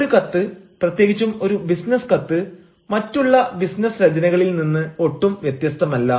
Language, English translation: Malayalam, a letter, especially a business letter, is no way different from other forms of business writing